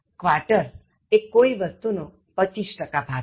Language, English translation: Gujarati, “Quarter” is one fourth or twenty five percent of something